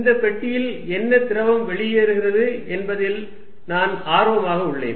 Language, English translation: Tamil, This is the box and I am interested in what fluid is going out